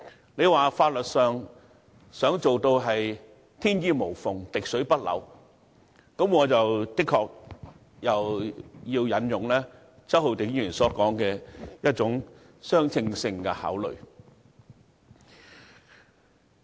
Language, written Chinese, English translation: Cantonese, 若你說在法律上想做到天衣無縫、滴水不漏，這樣我便要引用周浩鼎議員的說法：我們必須考慮相稱性。, If you aim to rule out such occurrence completely by legal means I would quote Mr Holden CHOWs words to say that we must consider proportionality